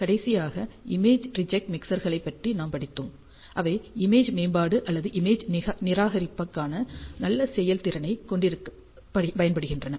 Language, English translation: Tamil, And lastly, we studied about image reject mixers, which are used to have image enhancement or very good performance for the image rejection